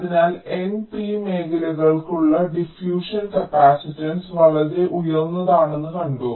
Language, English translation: Malayalam, so we have seen that the diffusion capacitance for both n and p regions are very high